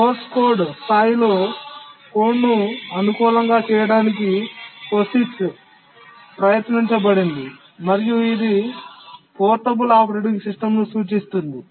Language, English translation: Telugu, To make the code compatible at the source code level, the POGIX was attempted stands for portable operating system